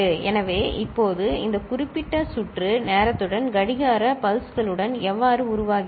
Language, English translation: Tamil, So, now how this particular circuit evolves with time, with clock pulses